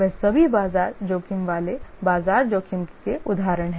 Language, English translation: Hindi, Those are all market risks, examples of market risk